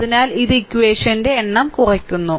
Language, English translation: Malayalam, So, it reduces the number of equation